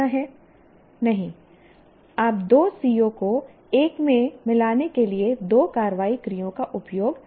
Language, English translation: Hindi, No, you cannot use two action verbs for combining two CBOs into one